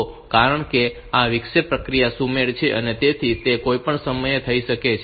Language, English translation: Gujarati, So, because this interrupt process is asynchronous